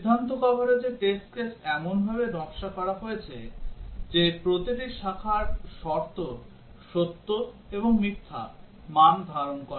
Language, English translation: Bengali, In decision coverage, test cases are designed such that each branch conditions assumes true and false values